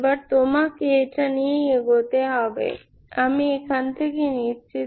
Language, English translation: Bengali, Now you have to go with this, I am picking from here